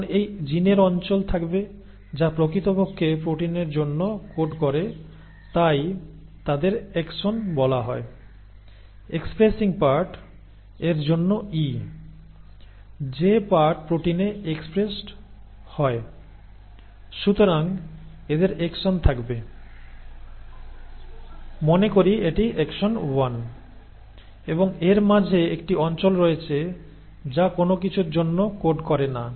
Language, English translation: Bengali, Now this gene will have regions which actually code for a protein so they are called the “exons”; E for expressing parts, the parts which get expressed into proteins; so it will have exons, let us say this is exon 1 and then, in between it has a region which does not code for anything